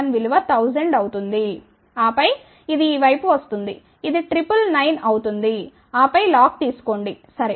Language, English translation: Telugu, 001 will be 1000 and then this one comes on this side which will become triple 9 then take a log, ok